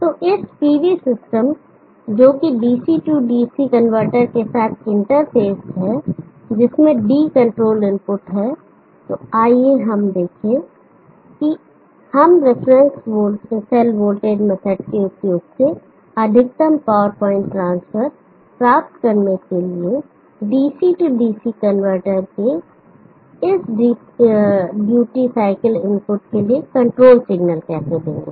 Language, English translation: Hindi, So to this PV system interfaced with DC DC converter having the DS control input, let us see how we will give the control signals for this duty cycle input of the DC DC converter to achieve maximum power point transfer using the reference cell voltage scaling method